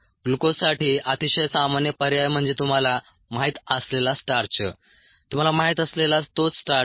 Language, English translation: Marathi, very common alternatives for glucose are starch you know the same starch that you know of cellulose